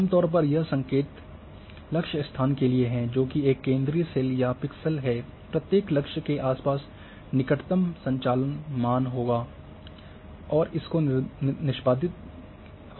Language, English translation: Hindi, Generally it is signal target location that is a central cell or pixel, the neighbourhood operation considered around each target and the type of functions to be executed